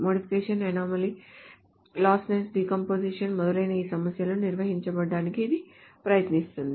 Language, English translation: Telugu, So it tries to handle these problems of modification anomaly, the lossless decomposition, etc